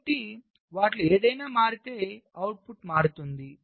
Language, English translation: Telugu, so under what conditions will the output change